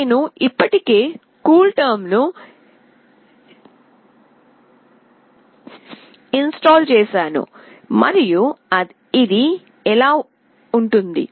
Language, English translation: Telugu, I have already installed CoolTerm and this is how it goes